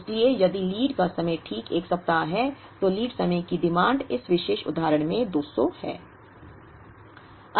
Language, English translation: Hindi, So, if the lead time is exactly 1 week, lead time demand is 200 in this particular example